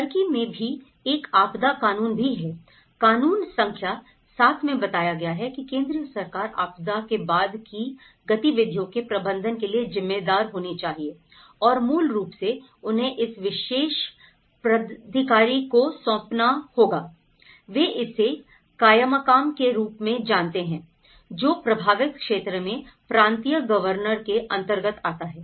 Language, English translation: Hindi, In Turkey, we have; they also have a disaster law; law number 7 states that the central government, it should be responsible for the management of post disaster activities and basically, they have to delegates this particular authority with, they call it as kaymakam in the provincial governors in the affected region